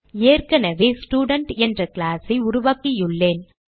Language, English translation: Tamil, I have already created a class named Student